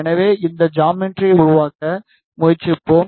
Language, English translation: Tamil, So, we will try to make this geometry